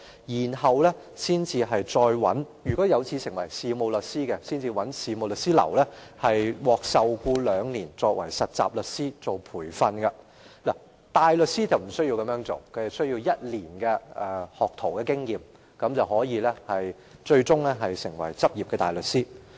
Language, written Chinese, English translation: Cantonese, 如果在完成課程後有志成為事務律師，便要在事務律師樓受僱接受兩年事務律師的培訓，而大律師則沒有這項要求，只須具備1年學徒經驗便可以成為執業大律師。, If a graduate aspires to be a solicitor upon completion of his study he has to be employed by a solicitors firm to undergo a two - year practical training; there is no such a requirement for a barrister he can practice after acquiring one year of pupillage experience